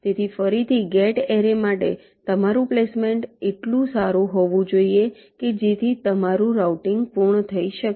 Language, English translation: Gujarati, so again for gate array, your placement should be good enough so that your routing can be completed